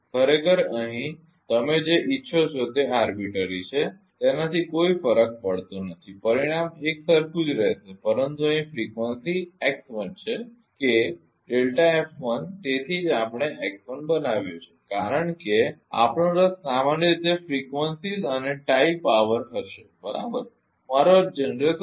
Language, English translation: Gujarati, Actually whatever here you want it is arbitrary it does not matter result will remain same, but here frequency is x 1 that delta F 1 that is why we have made x 1 because our interest will be generally frequencies and tie power, right I mean generation also